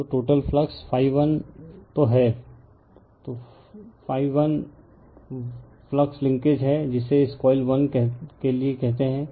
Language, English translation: Hindi, So, total flux is phi 1 so, phi 1 1 is the flux linkages your what you call your this coil 1 right